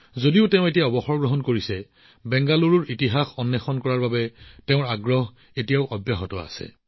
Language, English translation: Assamese, Though he is now retired, his passion to explore the history of Bengaluru is still alive